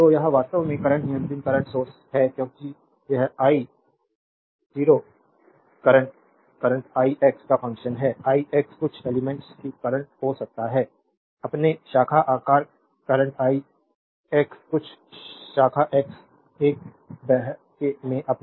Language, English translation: Hindi, So, this is actually current controlled current source because this i 0 the current is function of the current i x, i x may be the current of some element your in the your branch size current i x flowing some branch x a